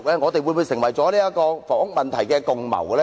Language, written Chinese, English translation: Cantonese, 我們會否成為了房屋問題的共犯呢？, Have we become the accomplices of the housing problem?